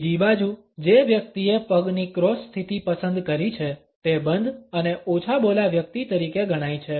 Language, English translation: Gujarati, On the other hand a person who has opted for a cross leg position comes across as a closed and reticent person